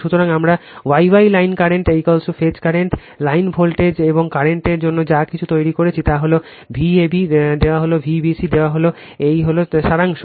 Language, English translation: Bengali, So, this is the relationship whatever we had made for star star line current is equal to phase current, line voltage and current, V a b is given V b c is given this is the summary sorry